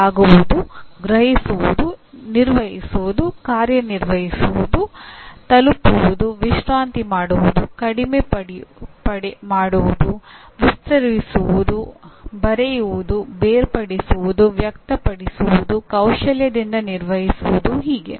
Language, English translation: Kannada, Bend, grasp, handle, operate, reach, relax, shorten, stretch, write, differentiate, express, perform skillfully and so on